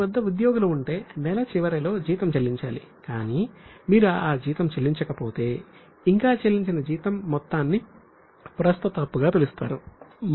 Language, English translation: Telugu, For example, if you have employees with you, you should pay salary at the end of the month, but if you don't pay that salary, then the amount of salary which is still unpaid, it will be called as a current liability